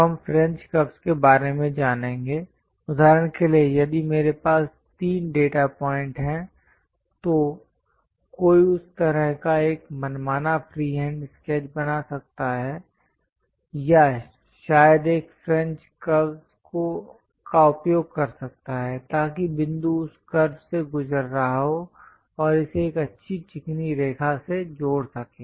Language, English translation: Hindi, Now, we will learn about French curves; for example, if I have three data points, one can draw an arbitrary free hand sketch like that or perhaps use a French curve, so that the point can be passing through that curve and connect it by a nice smooth line